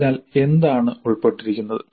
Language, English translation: Malayalam, What is involved in that